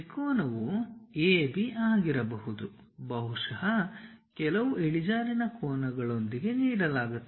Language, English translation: Kannada, The triangle is AB perhaps someone is given with certain inclination angles